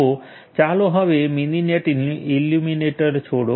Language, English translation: Gujarati, So, let us quit other Mininet emulator